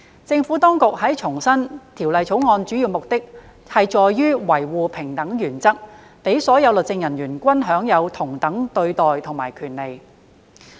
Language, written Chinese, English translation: Cantonese, 政府當局重申《條例草案》主要目的在於維護平等原則，讓所有律政人員均享有同等對待及權利。, The Administration reiterated that the main objective of the Bill was to uphold the equality principle that all legal officers should deserve the same treatment and rights